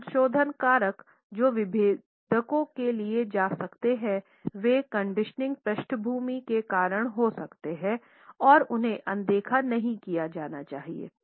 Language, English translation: Hindi, Some modifying factors that might be taken for differentiators are may be caused by the conditioning background and they should not be overlooked